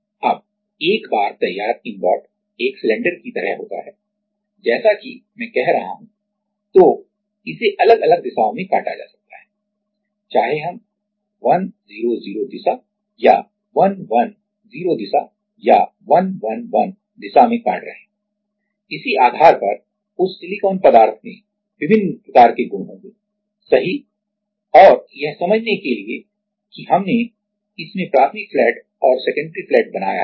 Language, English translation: Hindi, Now, 1 ingot once prepared ingot is like a cylinder as I am saying then it can be cut in different direction, whether we are cutting at 100 direction or 110 direction or 111 direction depending on that the silicon material will have different kind of properties right and to understand that we introduced this primary flat and introductory and secondary flat